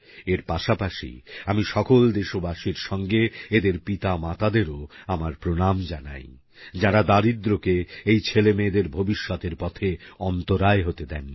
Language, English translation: Bengali, Along with this, I also, on behalf of all our countrymen, bow in honouring those parents, who did not permit poverty to become a hurdle for the future of their children